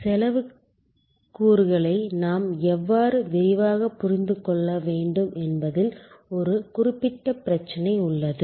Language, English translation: Tamil, There is one particular issue with respect to how we need to understand the cost elements in detail